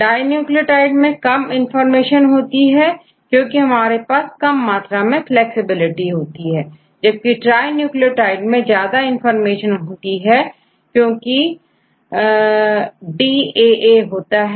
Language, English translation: Hindi, Dinucleotides have less information because we have the less number of possibilities, trinucleotides have more information because DAA DAA is we can get more information right